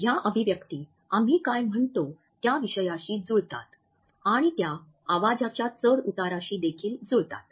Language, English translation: Marathi, These expressions match the content of what we are saying and they also match the voice modulations